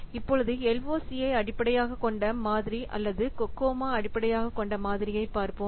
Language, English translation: Tamil, Let's see one of the model with the LOC based model or the COCOMO